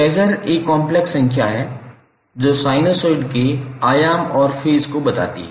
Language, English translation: Hindi, So how we will define phaser is a complex number that represents the amplitude and phase of sinusoid